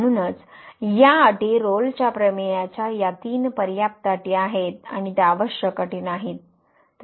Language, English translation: Marathi, So, therefore, these conditions these three hypotheses of the Rolle’s Theorem are sufficient conditions and they are not the necessary conditions